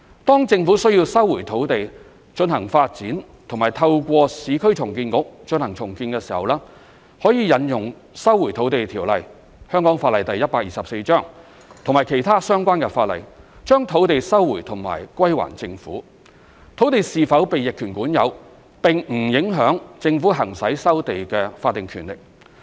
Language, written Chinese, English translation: Cantonese, 當政府需要收回土地進行發展或透過市區重建局進行重建時，可引用《收回土地條例》及其他相關法例，將土地收回及歸還政府，土地是否被逆權管有並不影響政府行使收地的法定權力。, When the Government needs to resume a piece of land for development or for redevelopment via the Urban Renewal Authority URA it can invoke the Lands Resumption Ordinance Cap . 124 or other relevant legislation to resume the land and revert it to the Government . Whether the land has been adversely possessed or not does not affect the statutory powers that the Government can exercise for land resumption